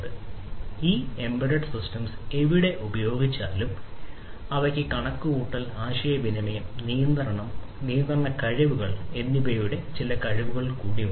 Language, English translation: Malayalam, So, these embedded systems irrespective of where they are used, they possess certain capabilities of computation, communication and control, compute, communicate and control capabilities